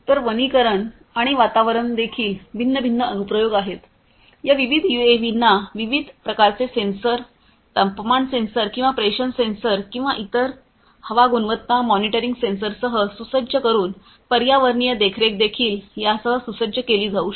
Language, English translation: Marathi, So, likewise there are different other applications in the forestry environment, forestry and environment as well, environmental monitoring by equipping these different these UAVs with different types of sensors temperature sensor or pressure sensor or different other you know air quality monitoring sensors could also be equipped with these different UAVs